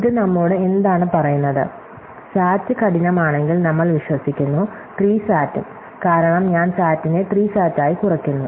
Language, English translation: Malayalam, So, what this tells us in that, if SAT is hard does we believe, then so is SAT, because I reduce SAT to SAT